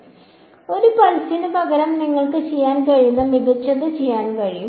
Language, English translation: Malayalam, So, instead of a pulse you can also do better you can do